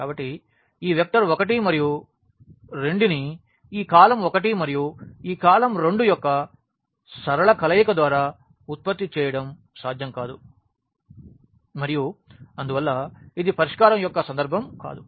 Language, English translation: Telugu, So, it is not possible to produce this vector 1 and 2 by any linear combination of this column 1 and this column 2 and hence, this is the case of no solution